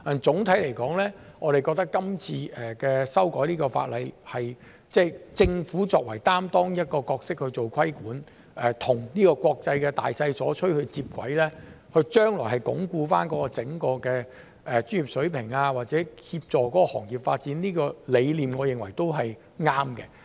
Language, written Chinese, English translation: Cantonese, 總體而言，我們覺得今次修改法例，政府作為一個有擔當的角色去做規管，與國際的大趨勢接軌，將來鞏固整個專業水平或協助行業發展，這個理念我認為都是對的。, In general we think that it is a right idea for the Government to in amending the law this time around assume responsibility by exercising its regulatory powers and in line with the international trend consolidate the standards of the profession or support the development of the industry . The most important thing is how to take account of the actual situation of the accounting profession subsequently